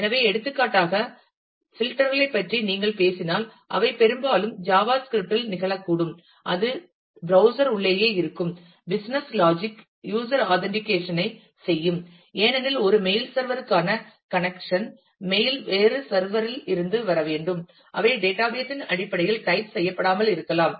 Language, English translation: Tamil, So, for example, if you talk about filters they might often happen in the java script itself, that trans within the browser, the logic the business logic will do user authentication, connection to mail server because, a mails have to come from a different server, they are not they may not be setting typed in terms of the of the database itself